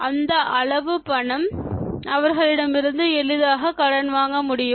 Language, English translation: Tamil, Any amount of money, can you borrow easily from others